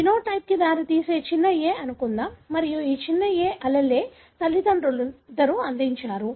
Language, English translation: Telugu, Let’s assume the small ‘a’ resulting in the phenotype and this small ‘a’ – allele, is contributed by both the parent